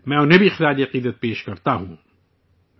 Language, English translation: Urdu, I also pay my heartfelt tribute to her